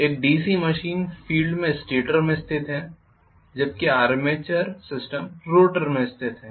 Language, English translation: Hindi, In a DC machine field is located in the stator whereas in the armature system is located in the rotor